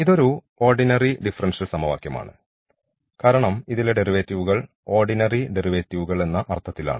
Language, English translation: Malayalam, So, we have the ordinary derivatives here the second equation this is also the ordinary differential equation